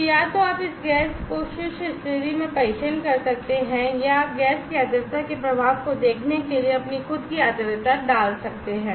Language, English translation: Hindi, So, either you can test this gas in dry condition or, you can put your own humidity to see the effect of gas plus humidity